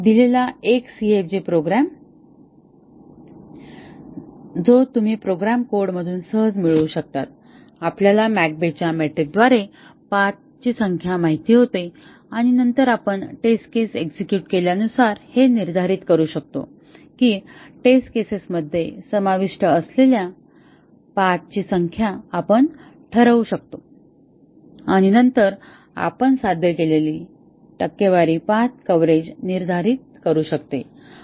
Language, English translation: Marathi, Given a CFG which you can easily get from a program code, we know the number of paths by the McCabe’s metric and then we can determine as the test case executes we can determine the number of paths that are covered by the test cases and then we can determine the percentage path coverage that has been achieved